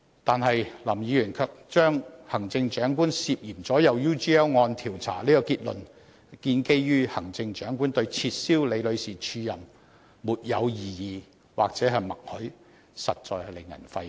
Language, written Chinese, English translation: Cantonese, 但是，林議員卻基於行政長官對撤銷李女士署任"沒有異議"或"默許"而達致行政長官"涉嫌左右 UGL 案調查"這個結論，實在令人費解。, But then on the basis that the Chief Executive expressed no disagreement to the cancellation of Ms LIs acting appointment and assuming that this amounted to his tacit consent he jumps to the conclusion that the Chief Executive is suspected of intervening in the investigation into the UGL case